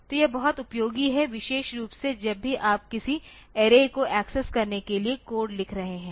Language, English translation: Hindi, So, this is very much useful particularly whenever you are writing code to access and array